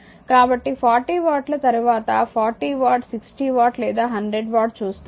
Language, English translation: Telugu, So, 40 watt that later will see 40 watt, 60 watt or 100 watt right